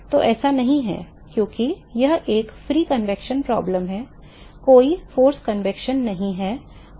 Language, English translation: Hindi, So, it is not because, it is a free convection problem there is no force convection and